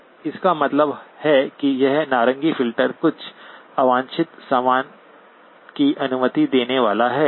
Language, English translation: Hindi, So that means this orange filter is going to allow some unwanted stuff